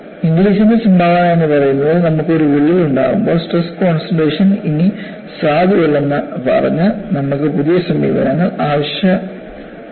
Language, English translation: Malayalam, The contribution of ingles’ was, when you have a crack, simply saying it has stress concentration no longer valid; you need to have new approaches